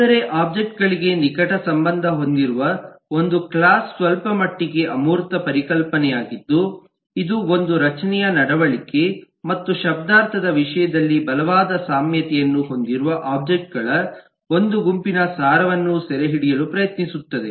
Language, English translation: Kannada, we have seen thatwhereas a class, which is closely related to objects, is somewhat an abstraction, somewhat of an abstract concept which tries to capture the essence of a set of objects which have strong similarities, strong commonality in terms of their structure, behavior and semantics